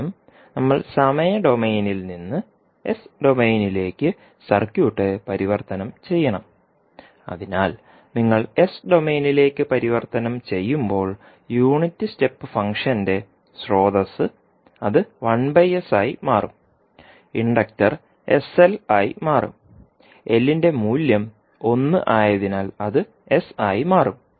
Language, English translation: Malayalam, First we have to transform the circuit from time domain into s domain, so the source which is unit step function when you will convert into s domain it will become 1 by S, inductor will become the inductor is sL and value of L is 1so it will become S